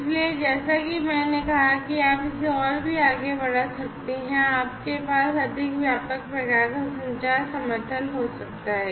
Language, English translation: Hindi, So, and as I said that you can extend this even further and you can have a much more comprehensive kind of communication, you know communication support